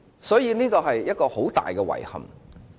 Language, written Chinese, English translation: Cantonese, 所以，這是一個很大的遺憾。, Hence this is greatly regrettable